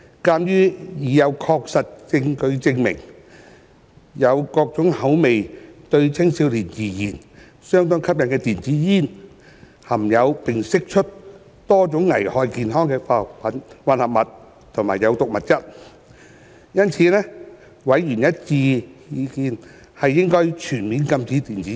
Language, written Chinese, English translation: Cantonese, 鑒於已有確實證據證明有各種口味並對青少年而言相當吸引的電子煙，含有並釋出多種會危害健康的化學混合物及有毒物質，因此委員的一致意見是應全面禁止電子煙。, As there is conclusive body of evidence that e - cigarettes which have various flavours and are highly appealing to adolescents contain and emit numerous chemical mixture and toxic substances that are hazardous to health members have a unanimous view that a full ban should be imposed on e - cigarettes